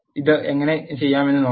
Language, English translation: Malayalam, Let us look how to do this